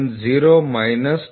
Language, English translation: Kannada, 970 minus 24